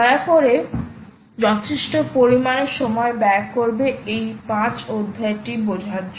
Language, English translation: Bengali, so please spend sufficient, significant amount of time understanding this chapter five